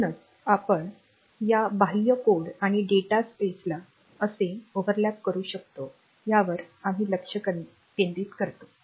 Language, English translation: Marathi, So, next we look into how can we overlap this external code and data spaces